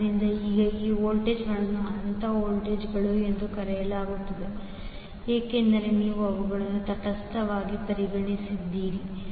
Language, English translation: Kannada, So, now, these voltages are called phase voltages because you have taken them with respect to neutral